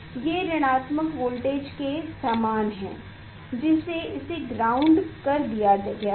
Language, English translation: Hindi, it is the similar to negative voltage it is grounded